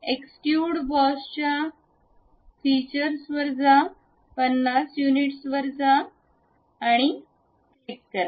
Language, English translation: Marathi, Go to features extrude boss, go to 50 units click ok